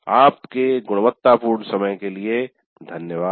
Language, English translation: Hindi, Thank you for your quality time